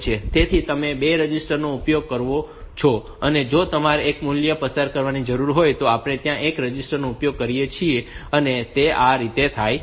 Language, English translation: Gujarati, So, you use 2 registers, if you requires on a single value to be passed we can use one register, that way